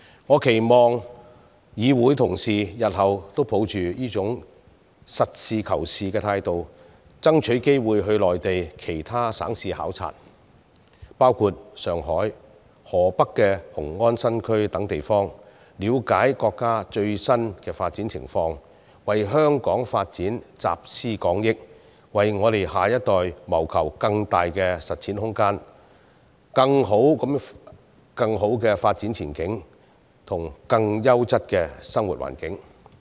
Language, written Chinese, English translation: Cantonese, 我期望議會同事日後都能抱着這種實事求是的態度，爭取機會到內地其他省市考察，包括上海、河北雄安新區等地方，了解國家的最新發展情況，為香港發展集思廣益，為下一代謀求更大的實踐空間、更好的發展前景，以及更優質的生活環境。, I am sure that all of them have benefited from the visit . I hope Honourable colleagues in this Council will uphold this principle of calling a spade a spade in the future and seize every opportunity to visit other provinces and cities on the Mainland including such places as Shanghai and Xiongan New Area in Hebei with a view to understanding the latest development of the country tapping on collective wisdom and working together for the development of Hong Kong and creating a greater space for development striving for a brighter development prospect and building up a living environment of a higher quality for the next generation